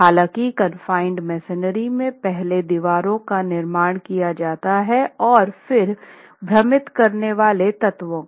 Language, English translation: Hindi, However, in confined masonry constructions, the walls are constructed and then the confining elements are concreted